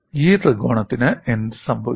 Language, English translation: Malayalam, That is this small triangle, what you see here